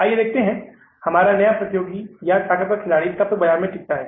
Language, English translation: Hindi, Let's see how long our new competitor or strengthful players stays in the market